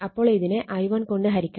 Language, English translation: Malayalam, You will get i 1 is equal to 1